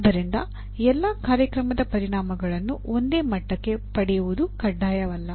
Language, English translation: Kannada, So it is not mandatory that all program outcomes have to be attained to the same level